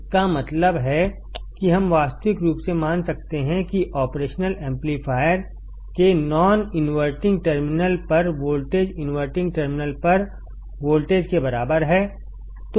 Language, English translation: Hindi, That means, that we can realistically assume that the voltage at the non inverting terminal of the operational amplifier is equal to the voltage at the inverting terminal